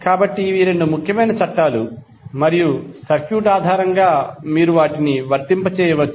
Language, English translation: Telugu, So these are the 2 important laws based on the circuit you can apply them